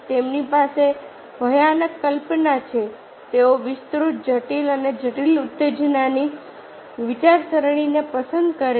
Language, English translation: Gujarati, they have terrorizing imagination, have a preference for elaborate, intricate and complex stimuli and thinkings